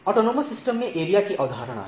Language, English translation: Hindi, So, there is a concept of area in autonomous system